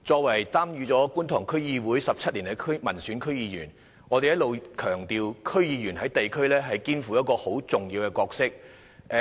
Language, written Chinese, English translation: Cantonese, 我在觀塘區議會已擔任民選區議員17年，我們一直強調區議員在地區上肩負重要角色。, I have served as an elected member of Kwun Tong District Council for 17 years . All along we have emphasized that DC members play an important role in the districts